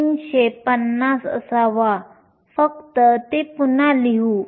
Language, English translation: Marathi, 350, just rewrite that